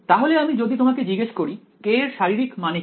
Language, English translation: Bengali, So, if I ask you what is the physical meaning of k